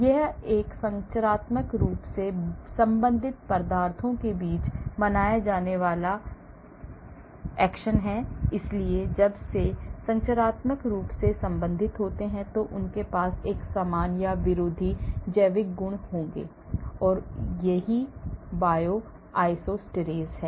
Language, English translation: Hindi, This is the phenomena observed between substances structurally related , so when they are structurally related, they will have similar or antagonistic biological properties, this is what is called Bioisosteres